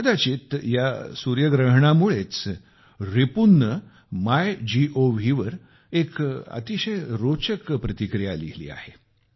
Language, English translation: Marathi, Possibly, this solar eclipse prompted Ripun to write a very interesting comment on the MyGov portal